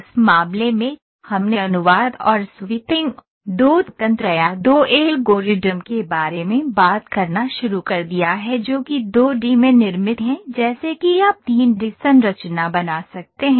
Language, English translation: Hindi, In that case, we started talking about translation and sweeping, two mechanisms or two algorithms which are in built in 2 D such that you can create 3 D structures